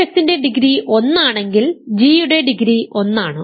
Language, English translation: Malayalam, Remember degree of f plus degree of g here is 2